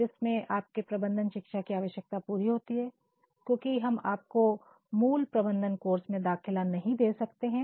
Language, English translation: Hindi, We have a course that caters to your need of management education since we cannot admit you in core management course